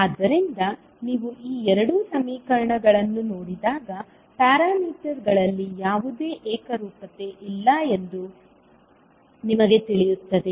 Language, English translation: Kannada, So, when you see these two equations you will come to know that there is no uniformity in the parameters